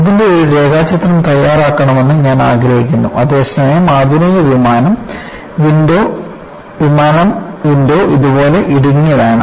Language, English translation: Malayalam, I want you to make a sketch of this,whereas the modern aircraft, the window is narrow like this